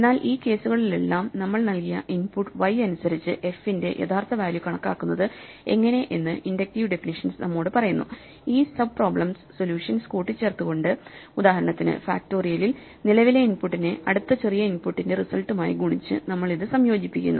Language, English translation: Malayalam, And in all these cases, what the inductive definition tells us is how to compute the actual value of f for our given input y by combining the solutions to these sub problems; for instance, in factorial we combine it by multiplying the current input with the result of solving it for the next smaller input